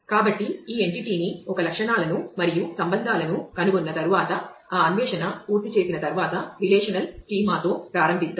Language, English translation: Telugu, So, having done this finding having found out this entity an attributes and the relationships let us now start with a relational schema